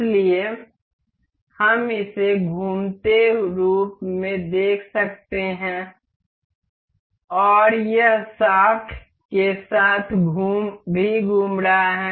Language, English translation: Hindi, So, we can see this as rotating and this is also rotating with this along the shaft